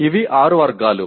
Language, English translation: Telugu, These are six categories